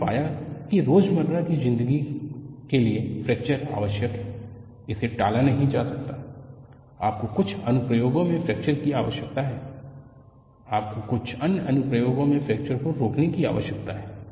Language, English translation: Hindi, We found fracture is needed in day to day living; it cannot be avoided; you need fracture in certain applications; you need to prevent fracture in certain other applications